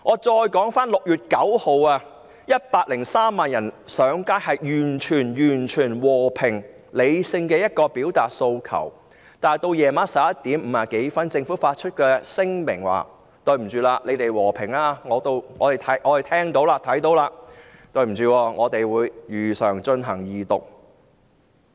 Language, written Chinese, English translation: Cantonese, 在6月9日 ，103 萬人上街，和平理性地表達訴求，但到了晚上11時50多分，政府發出聲明說"你們和平示威，我們已經看得到、聽得到；但對不起，我們會如常進行二讀"。, On 9 June 1.03 million people took to the streets to express their demand in a peaceful and rational manner . However at about 11col50 pm the Government issued a statement saying that you protested peacefully we have seen your act and heard your voices; but sorry we will proceed with the Second Reading as usual